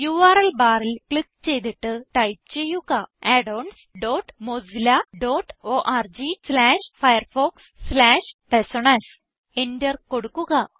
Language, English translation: Malayalam, Click on the URL bar and type addons dot mozilla dot org slash firefox slash personas Press Enter